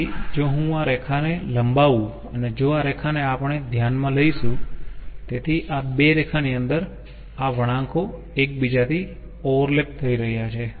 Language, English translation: Gujarati, so if i extend this line and if this line, if we consider so, in in within these two lines the curves are overlapping with each other